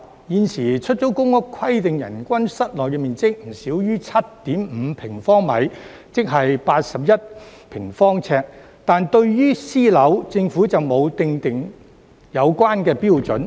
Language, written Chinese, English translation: Cantonese, 現時出租公屋規定人均室內面積不少於 7.5 平方米，即約81平方呎，但對於私樓，政府並沒有訂定有關標準。, At present the allocation of public rental housing units should be based on the standard of an internal floor area of at least 7.5 sq m or around 81 sq ft per person but the Government has not set such a standard for private housing